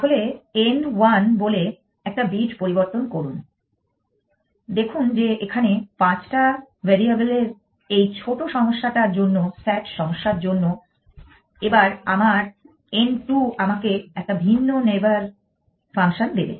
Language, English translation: Bengali, So, n 1 says change one bit see that for this small problem of five variables sat problem, next my end to will give me a different neighbor function